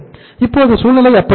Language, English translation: Tamil, So now the situation remains the same